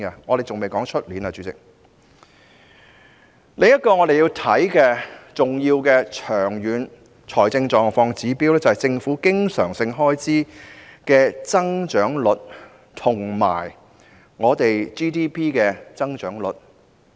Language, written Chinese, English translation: Cantonese, 我們要考慮的另一個重要長遠財政狀況指標，是政府經常性開支的增長率及 GDP 的增長率。, Another important long - term fiscal indicator that must be taken into consideration is the growth rates of government recurrent expenditure and GDP